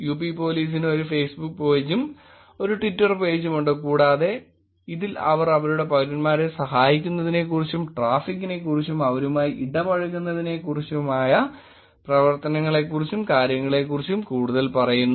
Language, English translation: Malayalam, UP Police also has a Facebook page and a Twitter page and they also seem to be talking more about the activities in terms of traffic in terms of helping them and in terms of generally interacting with the citizens